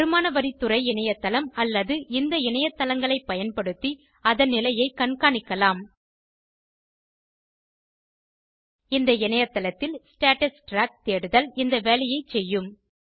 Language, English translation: Tamil, You can track its status using the Income tax Department website or these websites On this website, the Status Track search will perform this task